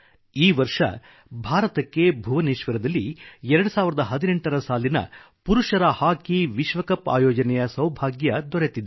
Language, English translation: Kannada, This year also, we have been fortunate to be the hosts of the Men's Hockey World Cup 2018 in Bhubaneshwar